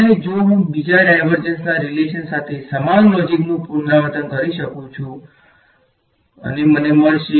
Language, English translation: Gujarati, And I can repeat the same logic with the second divergence relation and I will get